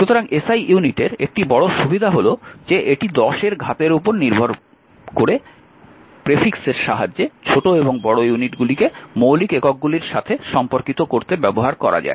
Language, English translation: Bengali, So, one major advantage of the SI unit is that, it uses prefix says based on the power obtain and to relates smaller and larger units to the basic units